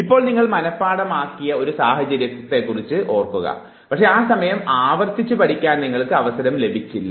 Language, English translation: Malayalam, Now think of a situation where you learnt something you memorized it, but then you did not get a chance to repeat it